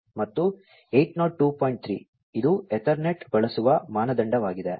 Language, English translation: Kannada, 3, which is the standard used by Ethernet